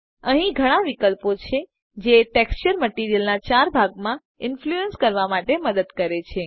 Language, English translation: Gujarati, There are various options here that help the texture influence the material in four main areas